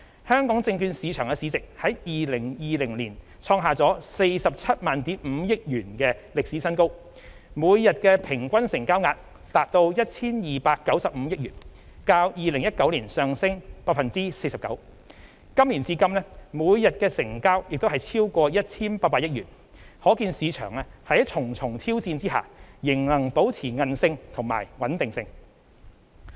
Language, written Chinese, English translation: Cantonese, 香港證券市場市值在2020年創下 475,000 億元的歷史新高；每日平均成交額達 1,295 億元，較2019年上升 49%； 今年至今每日的成交亦超過 1,800 億元，可見市場在重重挑戰下仍能保持韌力和穩定性。, The market capitalization of Hong Kongs stock market reached a record high of HK47,500 billion in 2020 . The average daily turnover of the stock market reached HK129.5 billion in 2020 surging by 49 % as compared to 2019 . The daily turnover to date this year is over HK180 billion